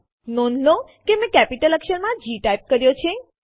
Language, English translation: Gujarati, Please notice that I have typed G in capital letter